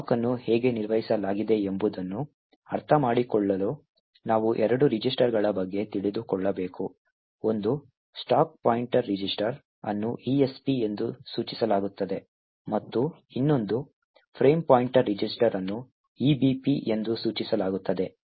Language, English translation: Kannada, To understand how the stack is manage we would have to know about two registers, one is the stack pointer register which is denoted as ESP and the other one is the frame pointer register which is denoted EBP